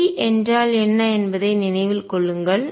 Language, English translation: Tamil, Remember what is p